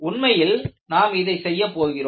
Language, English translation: Tamil, And, in fact, we would do this